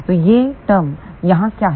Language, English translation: Hindi, So, what is this term here